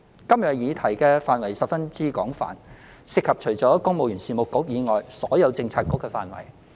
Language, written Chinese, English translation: Cantonese, 今日的議題範圍十分廣泛，涉及除公務員事務局以外所有政策局的工作範疇。, The scope of the subject under discussion today is very extensive covering the portfolios of all Bureaux with the Civil Service Bureau being the only exception